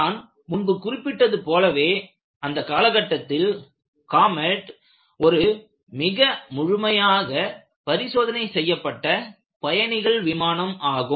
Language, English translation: Tamil, As I mentioned, comet was the most thoroughly tested passenger plane, ever built at that time